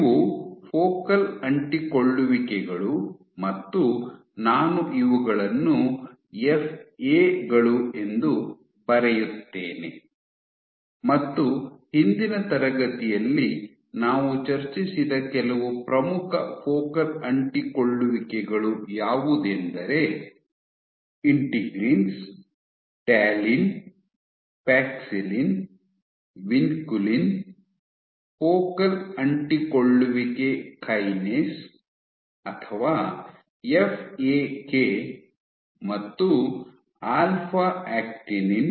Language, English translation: Kannada, I will write FAs and some of the major focal adhesions that we discussed in last class include: Integrins, Talin, Paxillin, Venculin focal adhesion kinase or FAK and alpha actinin